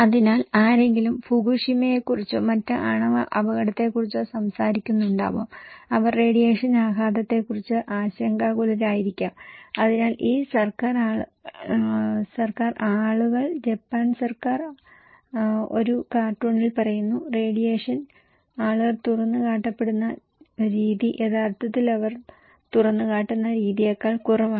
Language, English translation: Malayalam, So, somebody may be talking about Fukushima or other nuclear accident and they may be worried about the radiation impact and so these government people, Japan government people in a cartoon is saying that the radiation, the way people are exposed actually is lesser than when they are having x ray